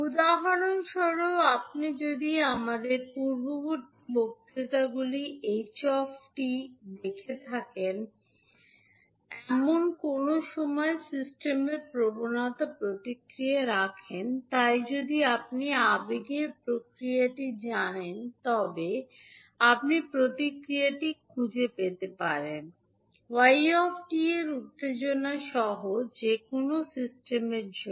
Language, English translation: Bengali, For example if you have the impulse response of a particular system that is ht, which we discuss in our previous lectures, so if you know the impulse response, you can find the response yt for any system with the excitation of xt